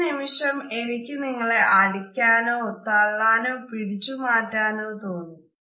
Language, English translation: Malayalam, I had a moment where I was kind of wanting to push you or shove you or punch you or grab you